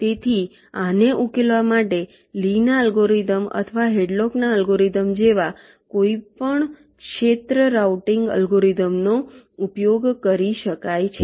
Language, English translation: Gujarati, so any area routing algorithm like lees algorithm or algorithm can be used to solve this